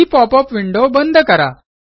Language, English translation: Marathi, Close the pop up window